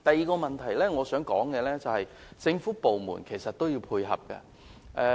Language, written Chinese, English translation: Cantonese, 我想帶出的第二點是政府部門本身也要作出配合。, The second point I wish to make is that government departments have to make complementary efforts too